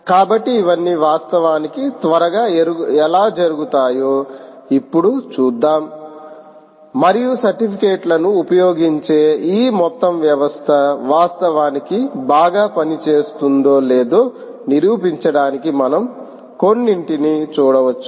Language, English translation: Telugu, so lets now see, ah, how all of this is actually done, ah quickly and we can also look at some of the ah to actually demonstrate whether this whole system using certificates actually ah work very well, all right